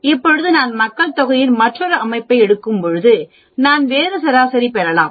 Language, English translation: Tamil, Now when I take another setup of pieces, I may get a different mean